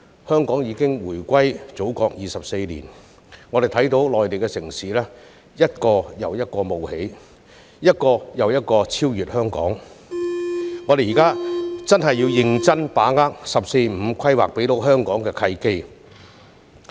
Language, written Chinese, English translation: Cantonese, 香港已回歸祖國24年，在這段期間，我們看到內地城市一個又一個冒起，並超越香港，因此我們現在真的要認真把握"十四五"規劃所給予香港的契機。, It has been 24 years since the return of Hong Kong to the Motherland . During this period we have seen Mainland cities emerge one after another and surpass Hong Kong . Therefore Hong Kong must now take it seriously and grasp the opportunities presented by the National 14 Five - Year Plan